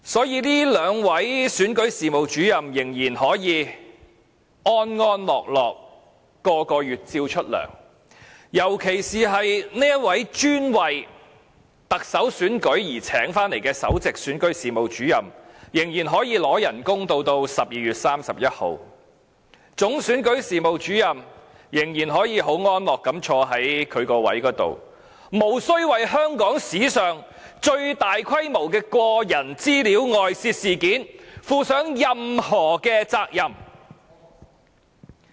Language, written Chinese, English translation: Cantonese, 因此，這兩位選舉事務主任仍可安樂地每月獲發工資，尤其這位專為特首選舉而聘請的首席選舉事務主任仍然可以領取工資至12月31日，總選舉事務主任仍可安坐其位，無須為香港史上最大規模的個人資料外泄事件負上任何責任。, In particular the Principal Electoral Officer who has been employed especially for the Chief Executive Election can still receive her salary until 31 December . The Chief Electoral Officer can still remain in her post . They do not need to be held accountable for the biggest leakage of personal data in the history of Hong Kong